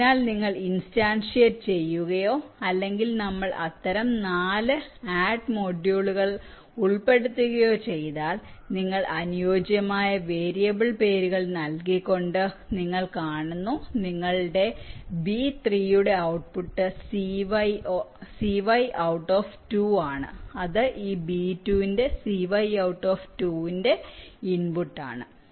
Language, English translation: Malayalam, so you instantiate or we include four such add modules and you see, just by giving the variable names appropriately, you provide with the interconnections, like your output of this b three, c y out, two will be the input of this c out two, a, b, two